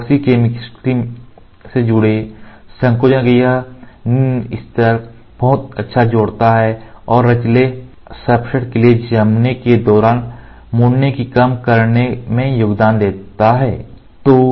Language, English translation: Hindi, This low level of shrinkage associated with epoxy chemistry contributes to excellent adhesion and reduced tendency for flexible substrates to curl during curing